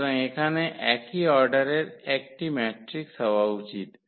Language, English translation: Bengali, So, there should be a matrix here of the same order